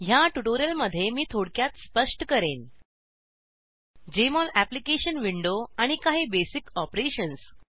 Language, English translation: Marathi, In this tutorial, I will briefly explain about: Jmol Application window and some basic operations